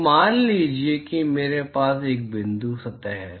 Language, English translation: Hindi, So, suppose I have a point surface